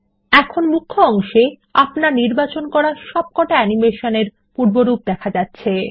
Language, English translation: Bengali, Click Play The preview of all the animations you selected are played